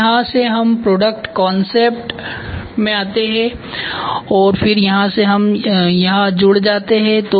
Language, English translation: Hindi, And from here we get into product concept and then from here we gets connected to here